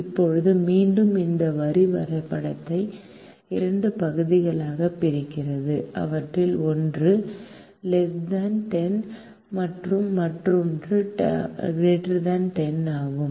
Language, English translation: Tamil, now, once again, this line divides a graph into two regions, one of which is less than ten and the other is greater than ten